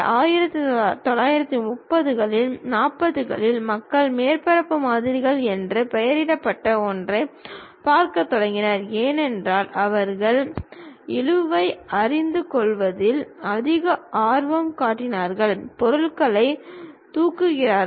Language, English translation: Tamil, Then around 1930's, 40's people started looking at something named surface models, because they are more interested about knowing drag, lift on the objects